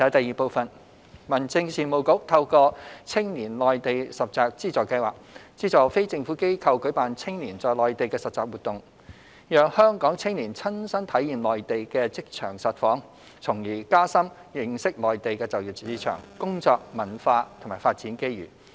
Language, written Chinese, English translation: Cantonese, 二民政事務局透過青年內地實習資助計劃資助非政府機構舉辦青年在內地的實習活動，讓香港青年親身體驗內地的職場實況，從而加深認識內地的就業市場、工作文化和發展機遇。, 2 The Home Affairs Bureau HAB subsidizes non - governmental organizations NGOs through the Funding Scheme for Youth Internship in the Mainland to organize Mainland internship activities for local young people with a view to enabling them to see for themselves the actual workplace environment of the Mainland as well as acquire a deeper understanding of the employment market work culture and development opportunities therein